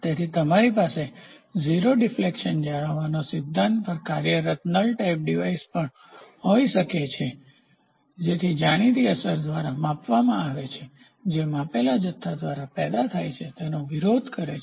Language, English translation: Gujarati, So, you can also have a null type device working on the principle of maintaining a 0 deflection by applying an appropriate known effect that opposes the one generated by the measured quantity